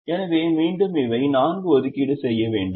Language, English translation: Tamil, so again to repeat, these are the four assignments